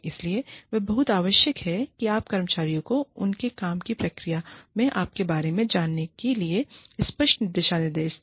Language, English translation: Hindi, So, it is very essential that, you lay down, clear guidelines for the employees, to follow, you know, in the process of their work